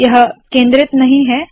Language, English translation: Hindi, This is not centered